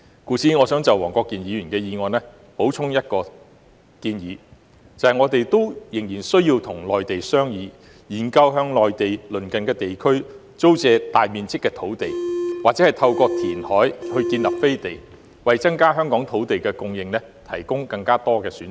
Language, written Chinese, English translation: Cantonese, 因此，我想就黃國健議員的議案補充一項建議，就是我們仍需與內地商議，研究向內地鄰近地區租借大面積的土地，或透過填海建立"飛地"，為增加香港土地供應提供更多選擇。, Hence I would like to make an additional proposal to Mr WONG Kwok - kins motion ie . we still need to negotiate with the Mainland authorities to explore the lease of large pieces of land surrounding the Mainland or the creation of enclaves through reclamation to provide more options for increasing land supply in Hong Kong